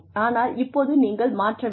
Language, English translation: Tamil, But now, you need to change